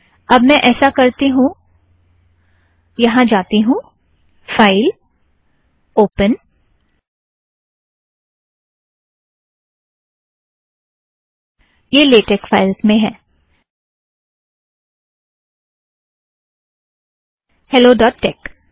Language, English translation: Hindi, Okay go here, File, Open, I have it in latex files, hello dot tex